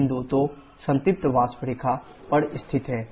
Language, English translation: Hindi, Point 2 is located on the saturated vapour line